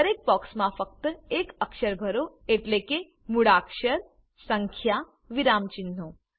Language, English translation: Gujarati, In each box, fill only one character i.e (alphabet /number / punctuation sign)